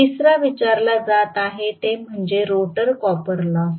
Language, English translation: Marathi, The third 1 that is being asked is rotor copper loss